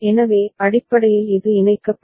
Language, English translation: Tamil, So, basically this will get connected